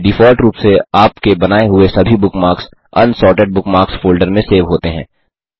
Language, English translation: Hindi, By default all the bookmarks that you created are saved in the Unsorted Bookmarks folder